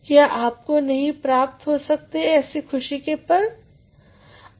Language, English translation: Hindi, Can you not have such a joyous moment